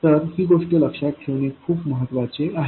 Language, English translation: Marathi, So, this is a very, very important thing to remember